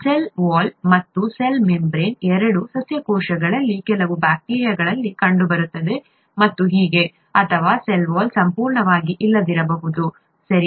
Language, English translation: Kannada, The cell wall and the cell membrane both are found in some bacteria in plant cells and so on, or the cell wall could be completely absent, okay